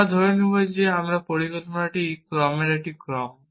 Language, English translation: Bengali, We will assume that our plan is a sequence of actions